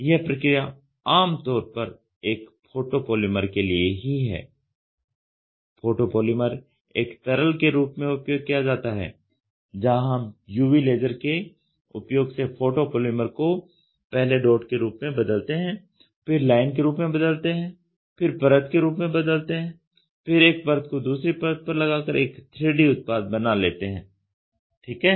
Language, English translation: Hindi, This process is typically for a photo polymer, photo polymer which is used as a liquid; where in which we use UV laser to cure the photo polymer first in dot form, then in line form, then in layer form, then layer stitching of layer you get a 3 dimensional object ok